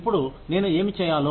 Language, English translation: Telugu, Now, what do i do